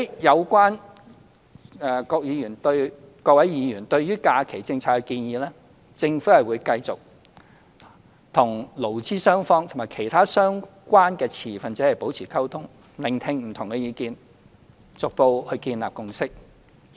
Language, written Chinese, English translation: Cantonese, 有關各位議員對於假期政策的建議，政府會繼續與勞資雙方和其他相關的持份者保持溝通，聆聽不同的意見，逐步建立共識。, Regarding the proposals of Members in relation to holiday policy the Government will maintain communication with employers employees and other relevant stakeholders; listen to different views and seek to gradually reach a consensus